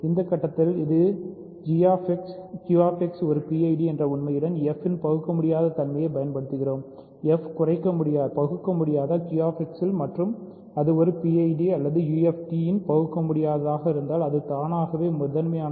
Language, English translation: Tamil, In this step, we are using the irreducibility of f along with the fact that Q X is a PID, we are using that f is irreducible in Q X and if it is irreducible in a PID or UFD it is automatically prime